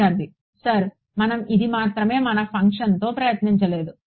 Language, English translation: Telugu, Sir this is the only thing we did not try with our function